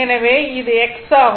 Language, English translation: Tamil, So, this is your x